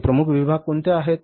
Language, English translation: Marathi, What are these major sections